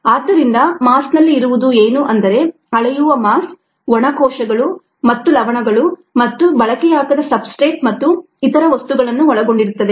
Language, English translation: Kannada, the mass that is measured would contain dry cells plus the salts, plus you unutilise substrate, plus the other things